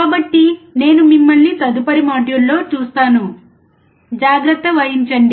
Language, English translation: Telugu, So, I will see you in the next module, take care